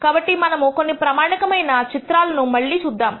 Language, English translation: Telugu, So, let us see some of the standard plots again